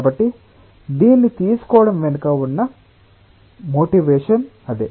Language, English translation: Telugu, so that is what is the motivation behind taking this one